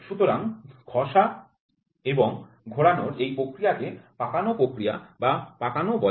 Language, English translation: Bengali, So, this process of sliding and rotating is called as wringing operation or wrung